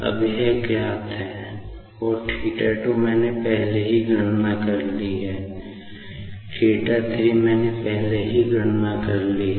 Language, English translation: Hindi, Now, this is known, and theta 2 I have already calculated; theta 3, I have already calculated